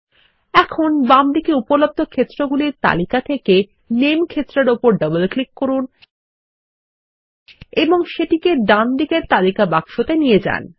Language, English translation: Bengali, Now, let us double click on the Name field in the Available fields list on the left and move it to the list box on the right